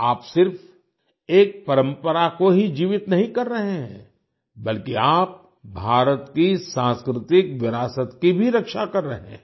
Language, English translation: Hindi, You are not only keeping alive a tradition, but are also protecting the cultural heritage of India